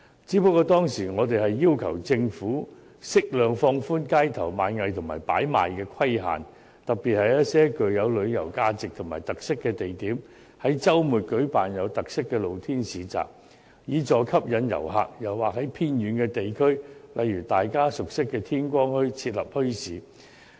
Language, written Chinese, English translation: Cantonese, 不過，我們當時要求政府適量放寬街頭賣藝和擺賣規限，特別是在一些具旅遊價值和特色的地點，於周末舉辦有特色的露天市集，以助吸引遊客；又或在偏遠地區，例如大家熟悉的天光墟，設立墟市。, However at that time we requested the Government to appropriately relax the restrictions on on - street busking and hawking . In particular we should organize special open - air markets in places with tourism value or features over weekends so as to help attract tourists or set up bazaars in the remote areas like the Morning Bazaar which we know very well